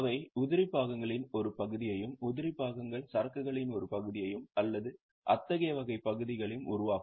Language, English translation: Tamil, They would also be forming part of spare parts, part of inventory of spare parts or such type of stocks